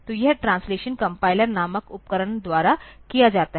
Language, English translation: Hindi, So, this translation is done by the tool called compilers, this is done by the tools called compilers